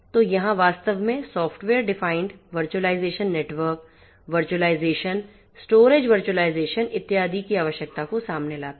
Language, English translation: Hindi, So, here actually software defined also brings into picture the necessity of virtualization network virtualization, storage virtualization and so on